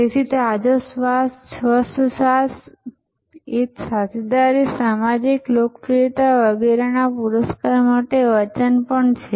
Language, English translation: Gujarati, So, the fresh breath, clean breath is also a promise for a reward of companionship, social popularity and so on